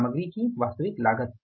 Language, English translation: Hindi, Actual cost of material